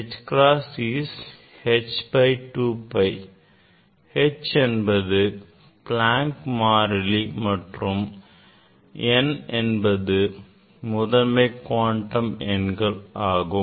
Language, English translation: Tamil, H cross is h by 2 pi; h is Planck constant and n are the principle quantum number